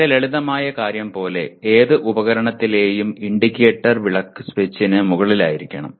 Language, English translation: Malayalam, Like very simple thing, the indicator lamp on any instrument should be above the switch